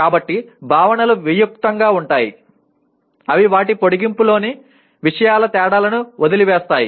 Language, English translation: Telugu, So the concepts are abstracts in that they omit the differences of things in their extension